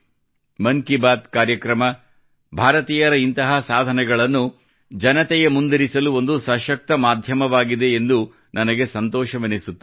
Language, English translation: Kannada, I am glad that 'Mann Ki Baat' has become a powerful medium to highlight such achievements of Indians